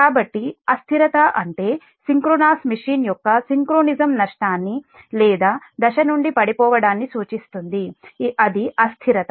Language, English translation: Telugu, so an instability means a condition denoting loss of synchronism of synchronous machine or falling out of step